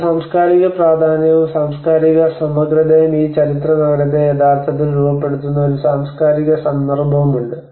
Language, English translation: Malayalam, And there is a cultural significance and cultural integrity and as a cultural context which actually frames this historical city